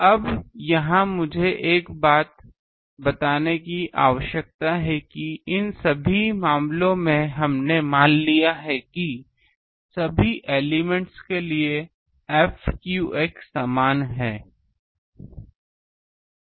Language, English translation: Hindi, Now here, I need to point out one thing that in these all these cases we have assumed that these f theta phi for all elements are same